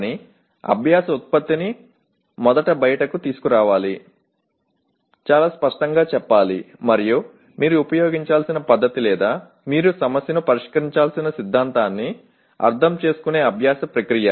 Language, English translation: Telugu, But learning product should be brought out first, should be made very clear and the learning process that means the method that you need to use or the theorem according to which you need to solve the problem